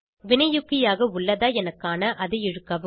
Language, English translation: Tamil, Drag to see the attachement as a catalyst